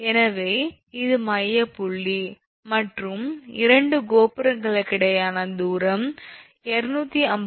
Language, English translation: Tamil, So, this is the midpoint and the distance between the two towers is given 250 meter